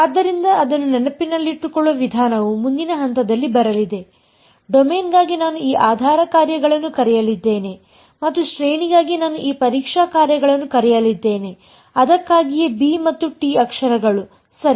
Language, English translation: Kannada, So, the way to remember it is sort of what will come later on, for the domain I am going to call this basis functions and for the range I am going to call this testing functions that is why letters b and t ok